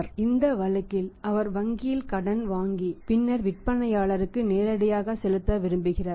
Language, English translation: Tamil, So, in that case he would like to borrow from the bank and then pay directly to the seller